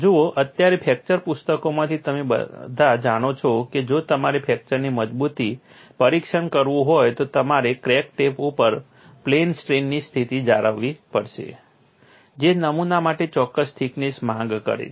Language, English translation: Gujarati, See right now from fracture books you all know that if we have to do fracture toughness testing, you have to maintain plane strain condition at the crack tip which demands a particular thickness for the specimen